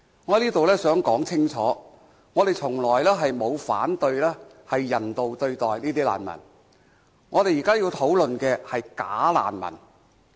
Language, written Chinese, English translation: Cantonese, 我想在這裏說清楚，我們從來沒有反對人道對待難民，我們現在要討論的是"假難民"。, I want to state clearly here that we have never opposed any humane treatment to refugees but what we are now discussing is the problem of bogus refugees